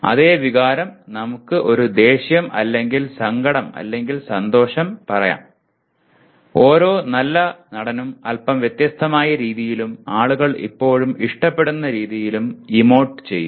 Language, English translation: Malayalam, The same emotion let us say an anger or sadness or happiness each good actor will emote in a somewhat different way and something that people will still like